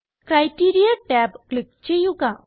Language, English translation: Malayalam, Lets click the Criteria tab